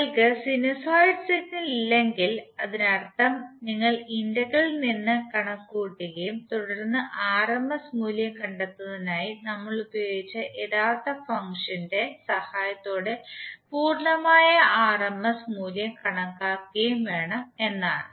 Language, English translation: Malayalam, If you do not have sinusoid signal it means that you have to compute from the integral and then calculate the complete rms value with the help of the original function which we just used for derivation of rms value